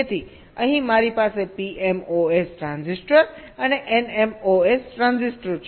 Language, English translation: Gujarati, so here i have a p mos transistor and n mos transistor